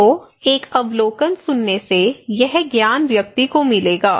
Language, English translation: Hindi, So, hearing an observation will give this knowledge to the person